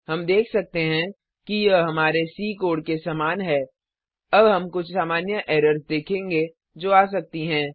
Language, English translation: Hindi, We can see that it is similar to our C code, Now we will see some common errors which we can come across